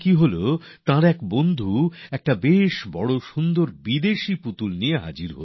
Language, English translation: Bengali, It so happened that one of his friends brought a big and beautiful foreign toy